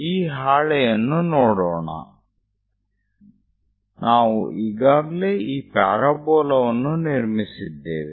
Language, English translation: Kannada, Let us look at this sheet; we have already constructed the parabola this one